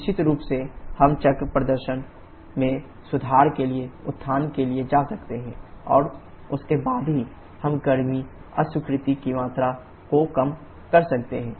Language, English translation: Hindi, Definitely we can go for regeneration to improve the cycle performance and then only we can reduce the amount of heat rejection